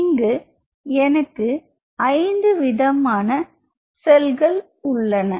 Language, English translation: Tamil, So, I have 5 different categories